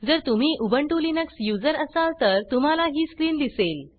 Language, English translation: Marathi, If you are an Ubuntu Linux user, you will see this screen